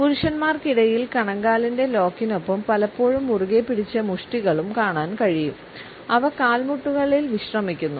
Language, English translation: Malayalam, Amongst men we find that the ankle lock is often combined with clenched fists; which are resting on the knees